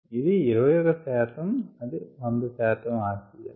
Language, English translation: Telugu, this is hundred percentage oxygen